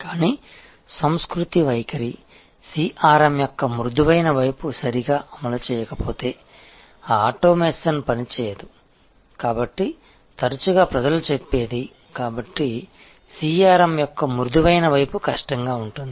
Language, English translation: Telugu, But, all that automation will not work if the culture attitude, the soft side of CRM is not properly deployed, so the often people say therefore, that the soft side of CRM is harder